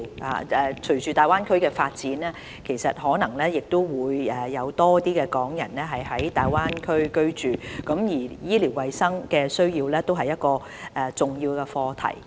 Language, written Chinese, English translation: Cantonese, 隨着大灣區的發展，可能會有更多港人在大灣區居住，他們的醫療衞生需要也是一個重要課題。, With the development of the Greater Bay Area more Hong Kong people may choose to live in the Greater Bay Area and their need for medical and hygiene services is an important issue